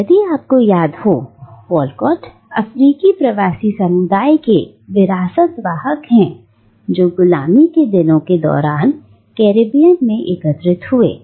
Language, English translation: Hindi, And Walcott, if you remember, is the legacy bearer of the African diasporic community who gathered in the Caribbean during the days of slavery